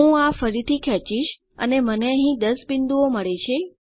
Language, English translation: Gujarati, I can again drag this and I get 10 points here